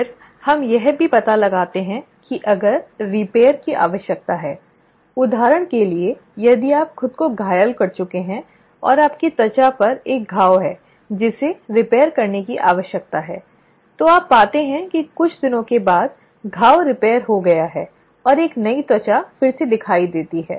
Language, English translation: Hindi, Then, we also find that if there is a need for repair, for example, if you have injured yourself and there is a wound on your skin that needs to be repaired, what you find is after a few days, the wound gets repaired and a fresh skin reappears